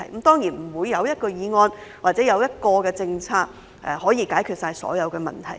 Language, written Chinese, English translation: Cantonese, 當然，沒有一項議案或政策可以解決所有問題。, Of course no single motion or policy can resolve all the problems